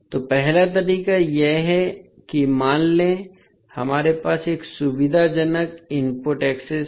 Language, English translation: Hindi, So, first method is that let us assume that the, we have one convenient input access